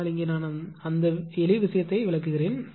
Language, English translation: Tamil, But here I will tell you that just I will explain that simple thing